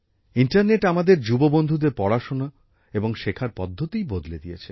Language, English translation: Bengali, The internet has changed the way our young friends study and learn